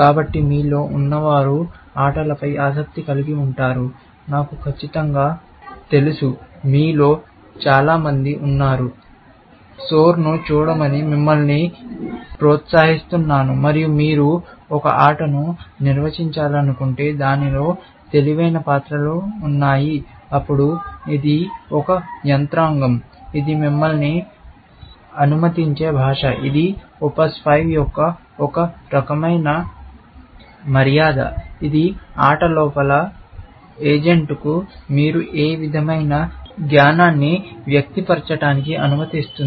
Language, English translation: Telugu, So, those of you are interested in games; I am sure, most of you are; I would encourage you to look at Soar, and if you want to build a game, which has intelligent characters inside it, then this is a mechanism; this is a language, which allows you to; which is a kind of decedent of OPS5, which allows you to express what kind of knowledge that you want put into to an agent, inside a game